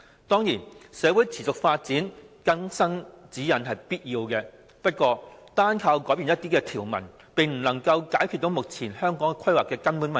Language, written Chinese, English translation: Cantonese, 當然，隨着社會持續發展，有必要更新《規劃標準》，但單靠更改一些條文，並不能夠解決目前規劃的根本問題。, Of course with the continuous development of society it is essential to update HKPSG but the mere revision of some provisions cannot solve the fundamental problems of planning at present